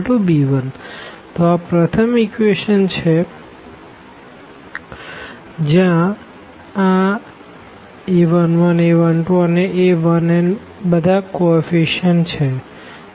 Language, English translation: Gujarati, So, this is first equation where these are a 1 1 a 1 2 and a 1 n a 1 n these are the coefficients